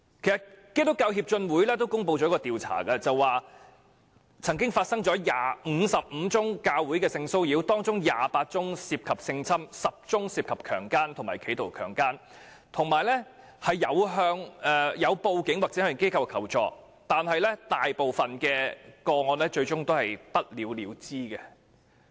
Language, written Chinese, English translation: Cantonese, 基督教協進會公布的調查結果顯示，在55宗涉及教會的性騷擾個案中，有28宗涉及性侵犯，有10宗涉及強姦和企圖強姦，並已報警及向有關機構求助，但大部分個案最終都是不了了之。, According to the findings of a survey conducted by the Hong Kong Christian Council among the 55 cases of sexual harassment 28 involved sexual assault and 10 involved rape and attempted rape and the victims have reported to the Police or sought help from the relevant organizations . However the majority of the cases were eventually unsettled